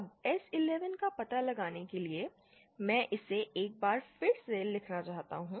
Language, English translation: Hindi, Now to find out S 11, let me just write it once again